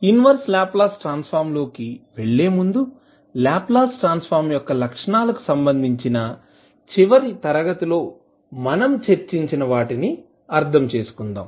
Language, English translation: Telugu, Before going into the inverse Laplace transform, let us understand what we discussed in the last class related to the properties of the Laplace transform